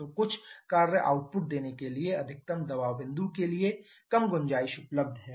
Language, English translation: Hindi, So, the there is a less scope available to the maximum pressure point to do workout we give some work output